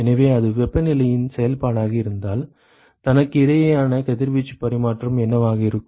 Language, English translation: Tamil, So, if it is a function of temperature then, what will be the radiation exchange between itself